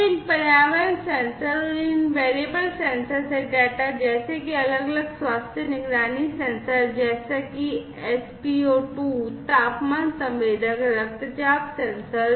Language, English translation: Hindi, So, this data from these environmental sensors and these variable sensors like, you know, different health monitoring sensors like spo2, you know, temperature sensor blood pressure sensor and so on